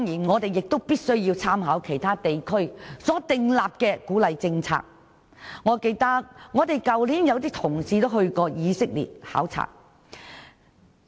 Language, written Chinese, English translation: Cantonese, 我們亦必須參考其他地區所訂立的鼓勵政策，有些同事去年便曾前往以色列考察。, We must also make reference to the incentive policies formulated by other places . For instance some fellow colleagues visited Israel last year